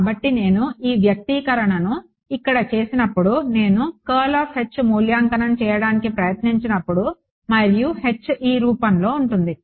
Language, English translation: Telugu, So, when I do this expression over here when I try to evaluate curl of H and H is of this form